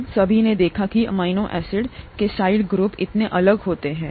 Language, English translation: Hindi, We all saw that the amino acid, the side groups of the amino acids could be so different